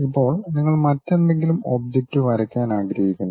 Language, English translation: Malayalam, Now, you would like to draw some other object